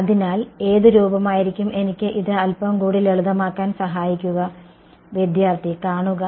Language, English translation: Malayalam, So, what form will what how can I simplify this a little bit more